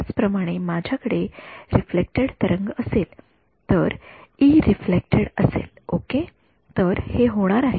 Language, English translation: Marathi, Similarly, I will have the reflected wave ok, so E reflected ok, so this is going to be